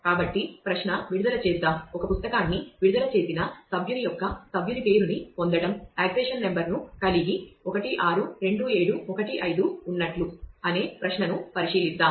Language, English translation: Telugu, So, let us consider a query that the query is to get the name of a member of the member who has issued a book say having accession number some accession number 162715